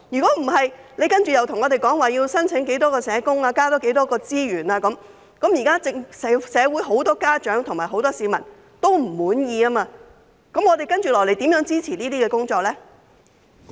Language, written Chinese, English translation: Cantonese, 否則，當局接下來向我們申請要有多少名社工、要增加多少資源，但社會目前有很多家長和市民也不滿意，我們又如何支持這些工作呢？, Otherwise when the authorities seek an increase in the number of social workers and resources later how can we support these initiatives given the prevailing discontent of many parents and members of the public in society?